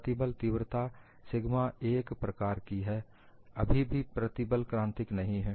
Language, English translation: Hindi, The stress magnitude is something like sigma 1; still the stress is not critical